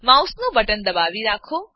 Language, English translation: Gujarati, Hold down the mouse button